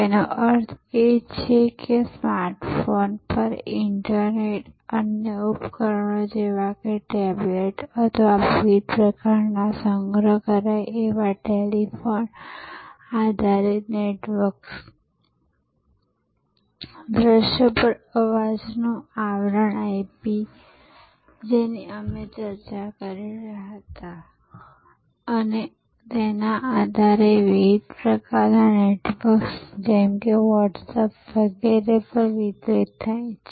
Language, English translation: Gujarati, That means internet delivered over smart phones, other devices like tablets or different kind of store forward telephone based networks, voice over IP, which we were discussing and based on that, different types of networks like Whatsapp, etc